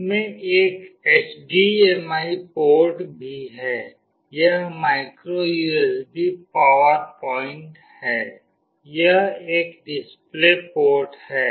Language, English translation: Hindi, It also has a HDMI port, there is a micro USB power point, this is a display port